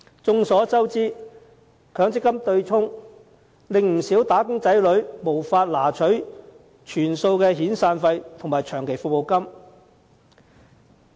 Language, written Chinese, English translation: Cantonese, 眾所周知，在強積金對沖機制下，不少"打工仔女"無法提取全數遣散費及長期服務金。, It is a well - known fact that under the MPF offsetting mechanism many wage earners cannot get the full amount of their severance and long service payments